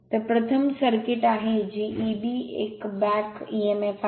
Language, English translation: Marathi, So, this is the circuit for first circuit this is E b 1 back emf